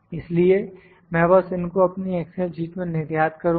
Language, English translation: Hindi, Now, I will just export this data to my excel sheet